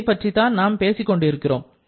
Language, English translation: Tamil, This is the one that we are talking about